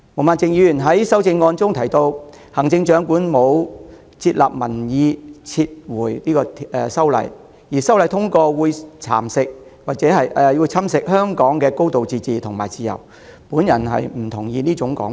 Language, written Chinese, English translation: Cantonese, 毛孟靜議員在修正案提到，行政長官沒有接納民意撤回修例建議，又說修例建議的通過會侵蝕香港的"高度自治"及自由，我對之不敢苟同。, Ms Claudia MO asserts in her amendment that the Chief Executive has disregarded the public opinion demanding for withdrawal of the proposed legislative amendment and that the passage of the proposed amendments will erode Hong Kongs high degree of autonomy and freedom . I take exception to that